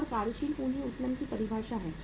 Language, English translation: Hindi, That is the definition of the working capital leverage